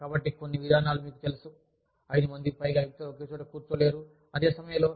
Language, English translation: Telugu, So, it could have policies like, you cannot collect, you know, more than 5 people, cannot be sitting in one place, at the same time